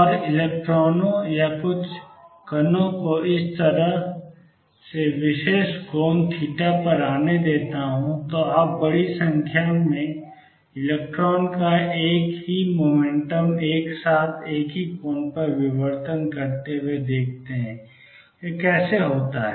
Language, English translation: Hindi, And let electrons or some particles come from this side at particular angle theta you see a large number of electron diffracting at exactly, the same angle with the same momentum p, how does this happen